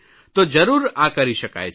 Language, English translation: Gujarati, This can surely be done